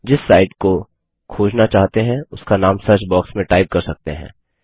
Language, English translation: Hindi, You can type in the name of the site that you want to search for in the search box